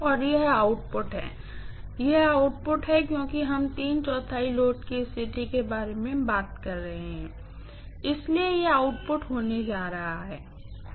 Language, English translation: Hindi, And this is the output, this is the output because we have been talked about three fourth of load condition that is what we are talking about, so that is going to be the output